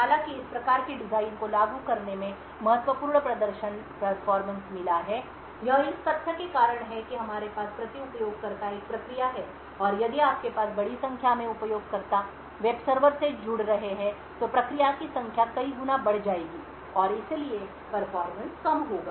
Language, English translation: Hindi, However, in practice implementing this type of design has got significant performance over heads, this is due to the fact that we have one process per user and if you have a large number of users connecting to the web server the number of process would increase many folds and therefore the performance will degrade